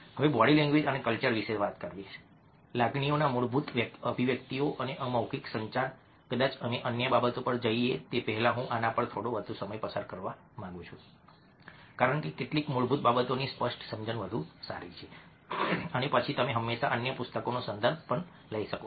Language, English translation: Gujarati, now talking about a body language and culture, the fundamental expressions of emotions and non verbal communication, probably i would like to speak a little more time on this before we go on to other things, because a clear understanding of some of basic things is much better, and then you can always refer to other books